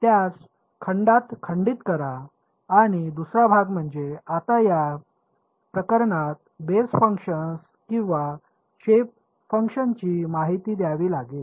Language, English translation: Marathi, Break it up into segments and the second part is we have to now introduce the basis functions or the shape functions in this case ok